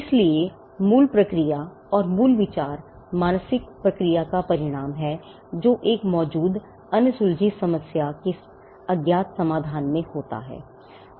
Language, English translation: Hindi, So, the mental process when it comes up with an original idea and the original idea results in an unknown solution to an existing unsolved problem